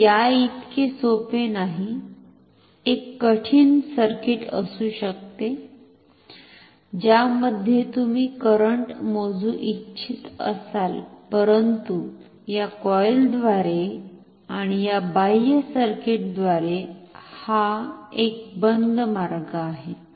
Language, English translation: Marathi, This may not be as simple as this, may be a complicated circuit in which you want to measure the current, but this is a closed path, through this coil and this external circuit